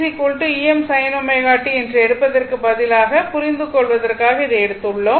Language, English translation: Tamil, Instead of taking e is equal to E M sin omega t, I have taken this one just for your understanding only right